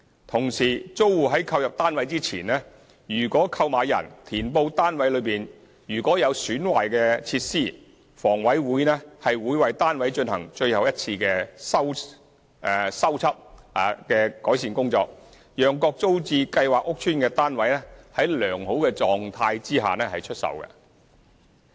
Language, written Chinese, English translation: Cantonese, 同時，租戶在購入單位前，如購買人填報單位內有損壞的設施，房委會會為單位進行最後一次修葺的改善工作，讓各租置計劃屋邨的單位在良好狀況下出售。, Also if a tenant reports that any installation in hisher flat is defective before purchasing the flat HA will carry out the final one - off repair for that flat so that flats in TPS estates are sold in good condition